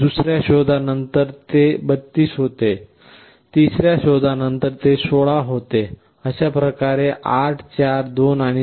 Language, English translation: Marathi, After another search, it becomes 32, after another search it becomes 16, like this 8 4 2 and 1